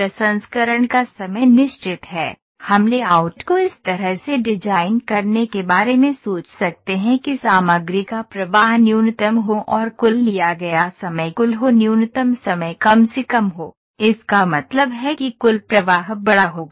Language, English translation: Hindi, The processing times are fixed, we can think of designing the layout in a way that a material flow is minimum and that the total time taken is minimum total time taken would be minimum that means, the total throughput would be the larger ok